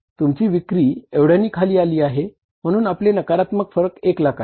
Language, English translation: Marathi, Right, your sales have come down why this is the negative variance is 1 lakh